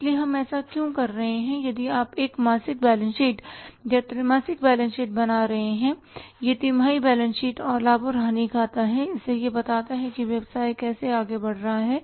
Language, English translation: Hindi, So why that we are doing that if you are preparing for example a monthly balance sheet or a quarterly balance sheet, that quarterly balance sheet and profit and loss account is going to tell us how the business is moving ahead what has happened in the past 3 months